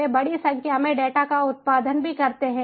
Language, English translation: Hindi, they also produce large number of large volumes of data